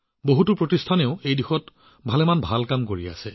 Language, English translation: Assamese, Many institutes are also doing very good work in this direction